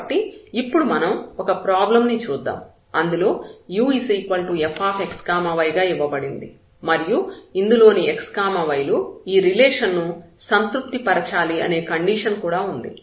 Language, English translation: Telugu, So, we have a problem that we want to minimize or maximize this u is equal to f x y under this condition that x y satisfies this relation